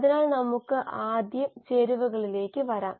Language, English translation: Malayalam, So let us come to the ingredients first